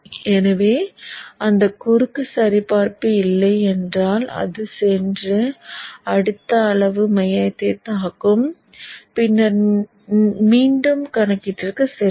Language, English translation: Tamil, So if that cross check doesn't, it will go and pick the next size of the code and then again do the calculation